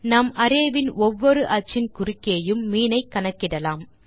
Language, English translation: Tamil, We can calculate the mean across each of the axis of the array